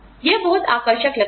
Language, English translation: Hindi, It seems very appealing